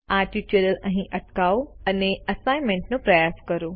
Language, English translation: Gujarati, Pause this tutorial and try out this Assignment